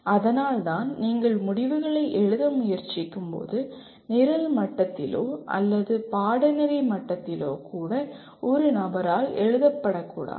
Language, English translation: Tamil, That is why when you try to write the outcomes it should not be ever written by a single person even at the program level or at the course level